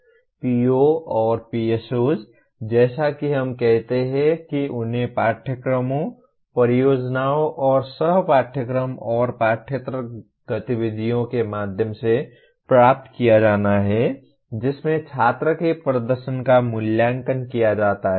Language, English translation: Hindi, POs and PSOs as we call them are to be attained through courses, projects, and co curricular and extra curricular activities in which performance of the student is evaluated